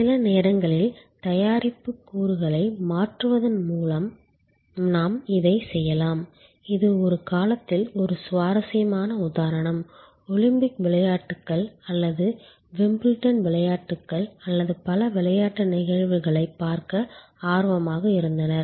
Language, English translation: Tamil, Sometimes we can also do it by changing the product elements, this is a interesting example at one time there were many people interested to see the Olympics games or Wimbledon games or many other sports events